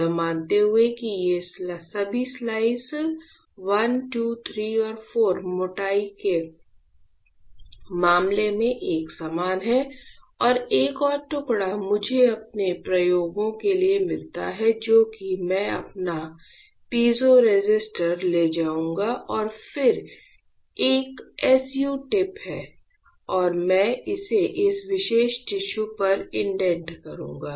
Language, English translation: Hindi, Assuming this all these slices I, II, III and IV are uniform in terms of thickness right and one more slice I get for my experiments which is I will take my piezoresistor and then there is a SU tip and I will indent this on this particular tissue